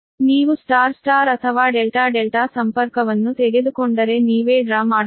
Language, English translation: Kannada, if you take very simple, it is: if you take star star or delta delta connection, you can draw yourself